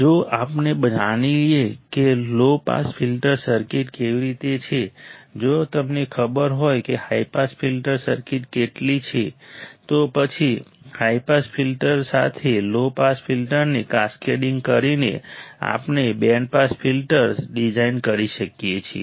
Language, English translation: Gujarati, If we know how a low pass filter circuit is, if you know how high pass filter circuit is then by cascading low pass filter with a high pass filter, we can design a band pass filter